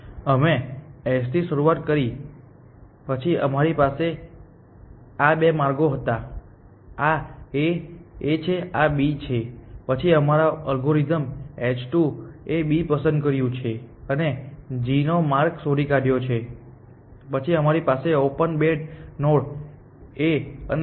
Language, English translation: Gujarati, We started with S, then we had this two paths, this is A, this is B, then our algorithm h 2 has pick B and found a path to g, then we have this two node on open A and G